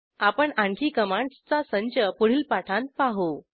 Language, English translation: Marathi, We will see some more set of commands in another tutorial